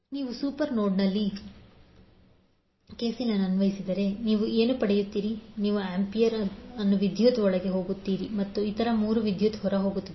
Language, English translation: Kannada, So if you apply KCL at the super node, so what you get, you get ampere as a current going inside and other 3 currents are going out